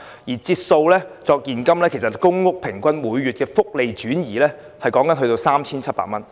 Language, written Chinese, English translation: Cantonese, 如以現金折算，公屋每月平均的福利轉移達 3,700 元。, In cash terms the welfare transfer relating to public housing amounts to 3,700